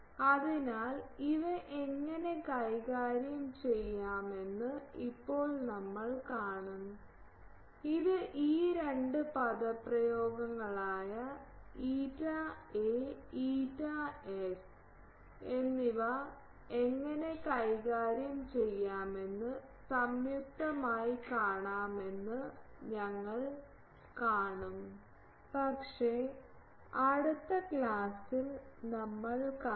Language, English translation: Malayalam, So, now we will see that how to manipulate these, that we will see that this jointly if we put this two expressions eta A and eta S how to manipulate that, but that we will see in the next class